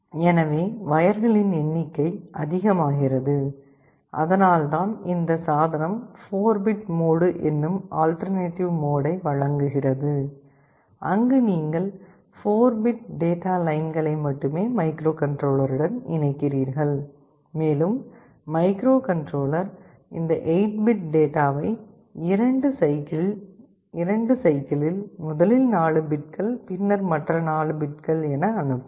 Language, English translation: Tamil, So, the number of wires becomes more that is why this device also provides with an alternative of 4 bit mode, where you connect only 4 bits of data lines to the microcontroller, and the microcontroller will be sending the 8 bits of data in 2 cycles, first 4 bits and then the other 4 bits